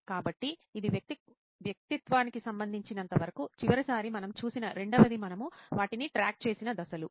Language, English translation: Telugu, So that is as far as the persona is concerned, the second that we saw the last time was the phases that we tracked them